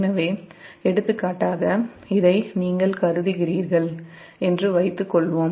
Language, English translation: Tamil, so, for example, suppose you consider this one as just